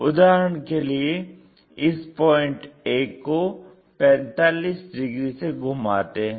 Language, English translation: Hindi, For example, this a point rotated by 45 degrees